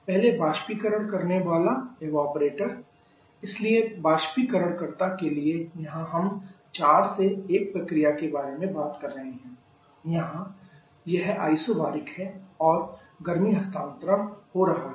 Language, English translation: Hindi, First the evaporator so for the evaporator where we are talking about the process 4 to1 here it is isobaric and there is a heat transfer going on